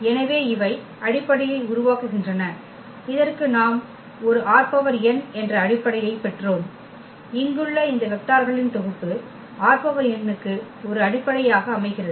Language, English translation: Tamil, So, they form the basis so, we got a basis for this R n, this set of vectors here this forms a basis for R n